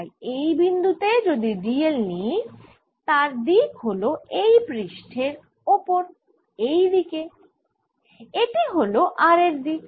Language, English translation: Bengali, so at this point if i take d l, which is in the direction of the plane of this paper, in this direction, this is the direction of r